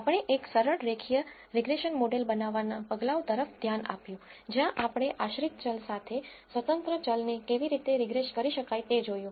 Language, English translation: Gujarati, We looked at steps in building a simple linear regression model where we looked at how to regress an independent variable with a dependent variable